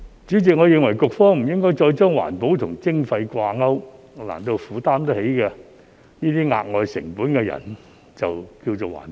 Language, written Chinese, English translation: Cantonese, 主席，我認為局方不應再把環保與徵費掛鈎，難道負擔得起這些額外成本的人就是環保？, Chairman I think that the Bureau should not link environmental protection with levies any more . Does it mean that people who can afford extra costs are environmentally friendly?